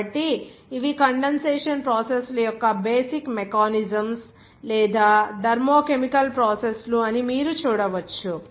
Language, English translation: Telugu, So these are the basic mechanisms of these condensation processes or you can see that thermo chemical processes